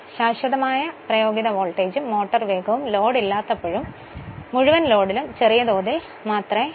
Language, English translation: Malayalam, At constant applied voltage and motor speed varies very little from no load to full load not much change in the no load to full load